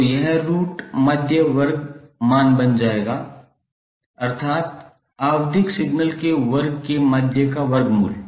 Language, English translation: Hindi, So this will become the root mean square value that means the square root of the mean of the square of the periodic signal